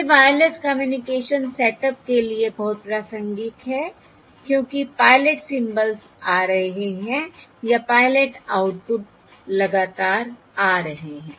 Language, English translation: Hindi, so basically, this is very relevant for Wireless Communication, This is very relevant for a Wireless Communication setups, since the pilot symbols are arriving or the pilot outputs are arriving continuously, Or pilot outputs are available